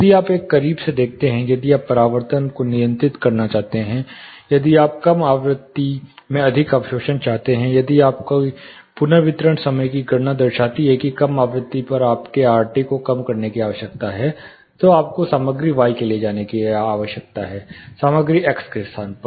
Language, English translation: Hindi, If you take a closure look, if you want to control reflections or if you want more absorption in the low frequency, if your reverberation time calculations show that your RT at the low frequency needs to be reduced, then you need to go for material y in place of material x